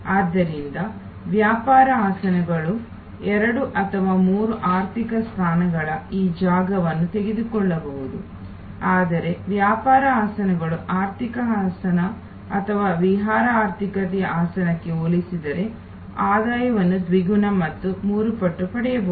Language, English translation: Kannada, So, the business seats may take this space of two or three economy seats, but the business seats can fetch double or triple the revenue compare to an economy seat or an excursion economy seat